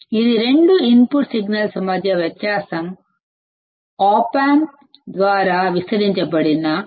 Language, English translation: Telugu, It is a factor by which the difference between two input signals is amplified by the op amp